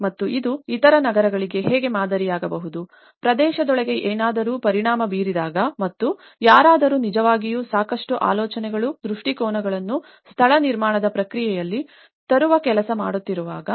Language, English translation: Kannada, And how it can become a role model for the other cities, within the region and because when something has been affected and when someone is really working out on bringing a lot of thoughts and visions into the place making process